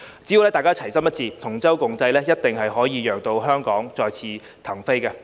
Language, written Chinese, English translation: Cantonese, 只要大家齊心一致，同舟共濟，一定可以讓香港再次騰飛。, As long as we stand united and stay with each other through thick and thin we will certainly be able to let Hong Kong take off again